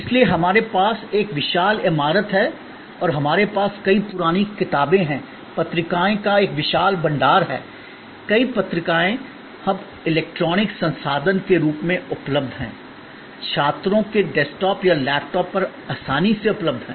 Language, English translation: Hindi, So, we have a huge building and we have many old books, a huge repository of journals, many journals are now available as electronic resource, easily available on the desktop or laptop of students, faculty